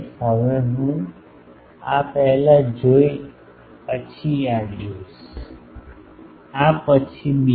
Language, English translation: Gujarati, Now, this I will see first this then, this, then others